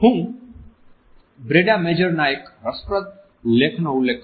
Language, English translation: Gujarati, I refer to an interesting article by Brenda Major